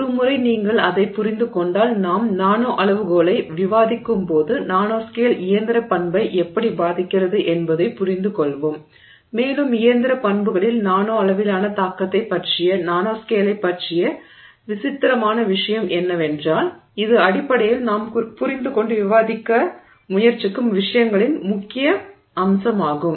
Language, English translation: Tamil, And once you get a sense of that when you when we discuss the nanoscale we will understand how or how the nanoscale is affecting the mechanical property and also what is peculiar about the nanoscale, about the impact of the nanoscale on the mechanical properties which is basically the crux of what we are trying to understand and discuss